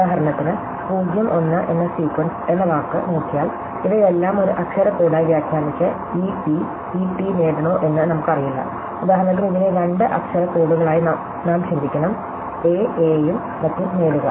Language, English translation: Malayalam, So, for instance, if we look at the word, the sequence 0 1, then we do not know whether we should interpret each of these as a one letter code and get e t e t, all for instance we should think of this as 2 two letter of codes and get a a and so on